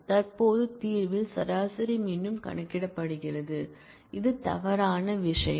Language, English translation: Tamil, The average in the present solution the average is recomputed, which is the wrong thing